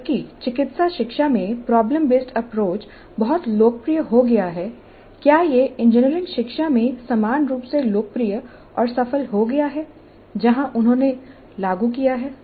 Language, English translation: Hindi, While in medical education problem based approach has become very popular, has it become equally popular and successful in engineering education wherever they have implemented